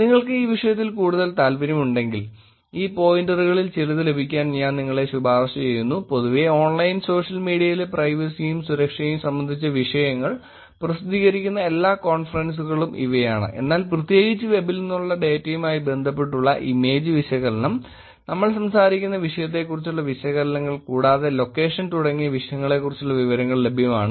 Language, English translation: Malayalam, If you are interested more in this topic I actually high recommend you to get some of these pointers, which is these are all the conferences where the topics of privacy and security in Online Social Media in general also gets published, but also specifically about these topics like, image analysis connected to the data from the web, pictures which is what we talk about and location and things like that